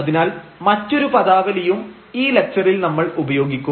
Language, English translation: Malayalam, So, that terminology we will use in today’s lecture